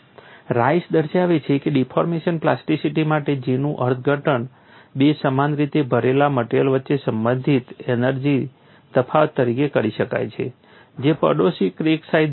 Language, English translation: Gujarati, Rice has shown that for deformation plasticity J can be interpreted as a potential energy difference between two identically loaded bodies having neighboring crack sizes